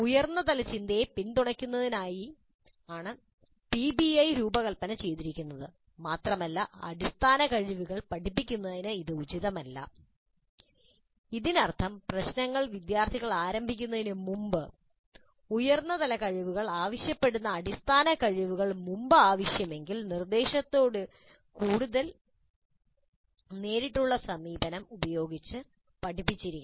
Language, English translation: Malayalam, PBI is designed to support higher order thinking and is not appropriate for teaching very basic skills which means that before the students start with problems demanding higher order abilities the basic skills that are required must have been taught earlier if necessary using more direct approach to instruction